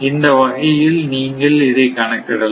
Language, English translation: Tamil, So, this is the way that we can calculate